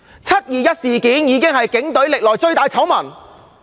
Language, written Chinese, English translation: Cantonese, "七二一"事件是警隊歷年來最大的醜聞。, The 21 July incident is the biggest scandal involving the Police in history